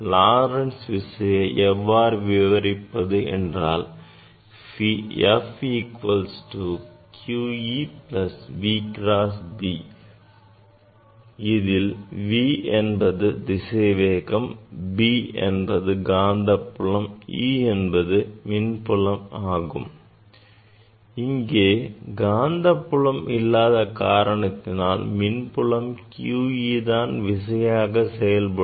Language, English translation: Tamil, Lorentz Force is defined by that F equal to q E plus V cross B; V is the velocity and B is the magnetic field, e is the electric field, since there is no magnetic field here